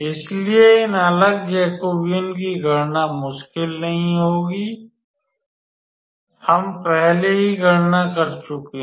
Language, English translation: Hindi, So, calculating these individual Jacobians will not be difficult, we have already done the calculation